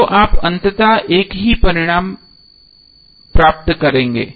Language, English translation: Hindi, So you will get eventually the same result